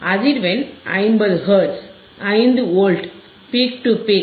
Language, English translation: Tamil, Frequency is 50 Hertz 50 Hertz right 50 Hertz frequency, 5 Volts peak to peak